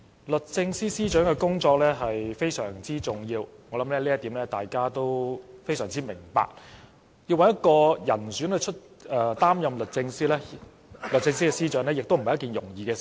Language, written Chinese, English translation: Cantonese, 律政司司長的工作非常重要，我想這點大家也非常明白，要找一名人選擔任律政司司長也不是一件容易的事。, The Secretary for Justice has very important responsibilities which I think we are well aware of and it is not easy to find someone eligible to fill the post